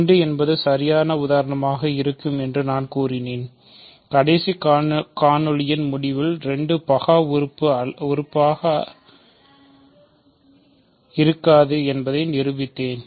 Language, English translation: Tamil, And I claimed that 2 will do the job for us and I think in the end, by the end of the last video I proved that 2 is not prime